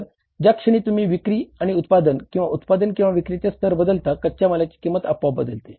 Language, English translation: Marathi, So, the movement you change the level of sales and production or a production of say production and sales automatically the raw material cost is going to change